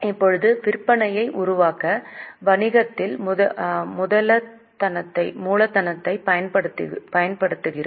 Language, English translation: Tamil, Now, we employ the capital in business to generate the sales